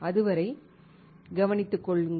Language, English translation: Tamil, Till then, take care